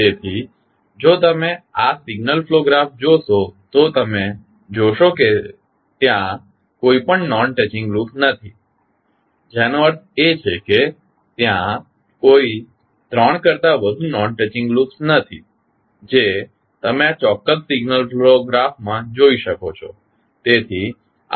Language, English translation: Gujarati, So, if you see this signal flow graph you will not be, you will see that there is no any non touching loop, which means there is no, not more than three non touching loops you can see in this particular signal flow graph